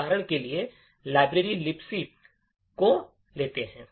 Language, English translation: Hindi, Let us take for example the library, the Libc library